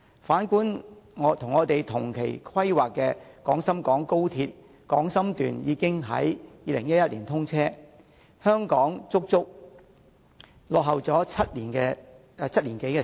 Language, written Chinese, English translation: Cantonese, 反觀與我們同期規劃的廣深港高鐵廣深段已於2011年通車，香港段足足落後了7年多。, By comparison the Guangzhou - Shenzhen Section of XRL which was planned at the same time was already commissioned in 2011 . Hong Kong has lagged behind for more than seven years